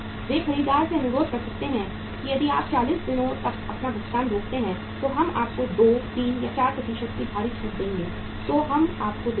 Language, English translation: Hindi, They can request the buyer that if you prepone your payment by 40 days, we will give you the huge discount maybe 2, 3, 4% discount we will give u